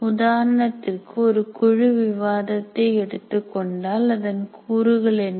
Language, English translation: Tamil, Like for example, in a group discussion, what are the component you have to form a group